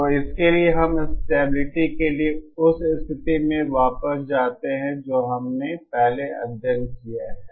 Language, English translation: Hindi, So for this we go back to the condition for stability that we have studied earlier